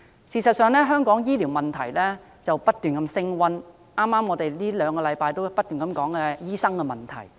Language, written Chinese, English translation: Cantonese, 事實上，香港醫療問題近年不斷升溫，我們這兩星期亦不斷討論有關醫生的問題。, The health care problem keeps deteriorating in recent years . We have also kept discussing issues concerning doctors in the last two weeks